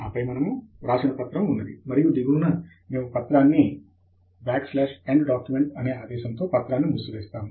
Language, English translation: Telugu, And then we have the write up here; and at the bottom, we close the document with \end document